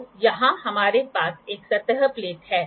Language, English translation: Hindi, So, here we have a surface plate